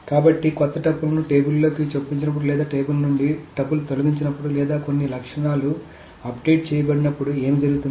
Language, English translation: Telugu, So what happens when a new tuple is inserted into a table or when a tuple is deleted from a table or some attributes are updated etc